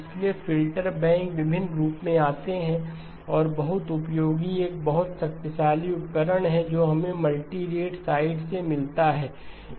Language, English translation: Hindi, So filter banks come in various forms and very, very useful, a very powerful tool that we get from the multirate side